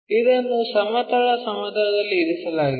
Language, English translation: Kannada, This is the horizontal plane